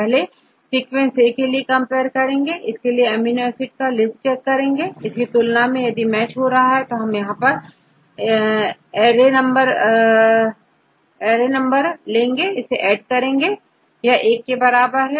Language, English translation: Hindi, Take the sequence first for this A; we have to compare this A with the list of amino acids, okay here you can see the list of amino acids; if you compare this and this if it matches, then we add in this array number of A equal to one